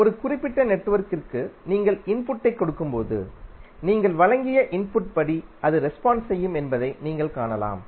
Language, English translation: Tamil, So, you can see that when you give input to a particular network it will respond based on the input which you have provided